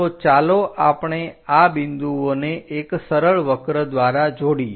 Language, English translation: Gujarati, So, let us join these points through a smooth curve